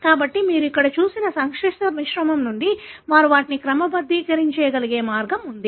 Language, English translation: Telugu, So, this is the way they are able to sort them from a complex mixture that you have seen here